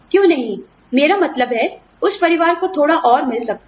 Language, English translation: Hindi, Why not, I mean, that family could get a little more